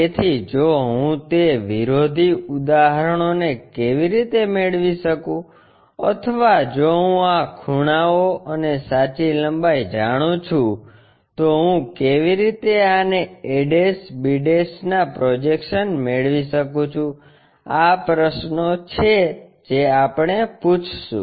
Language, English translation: Gujarati, So, if I know the projections how to get that inverse problem one or if I know these angles and true lengths, how can I get this a' b', these are the questions what we will ask